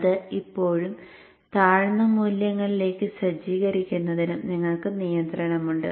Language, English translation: Malayalam, You have control on setting it to still lower values too